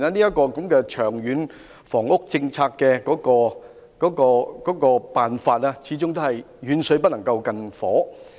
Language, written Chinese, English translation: Cantonese, 在這種情況下，《長策》提出的辦法，始終是遠水不能救近火。, Against this background proposals in LTHS are after all long - term solutions that fail to address the imminent demand